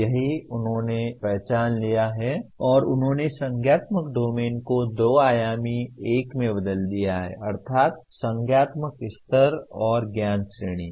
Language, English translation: Hindi, That is what they have identified and they converted cognitive domain into a two dimensional one, namely cognitive level and knowledge categories